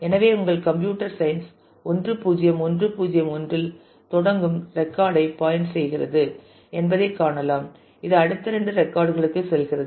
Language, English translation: Tamil, So, you can see that your computer science points to the record starting with 1 0 1 0 1 and then the; it goes on to the next two records